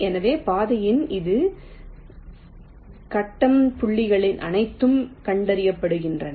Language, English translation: Tamil, so along the trail line, all its grid points are traced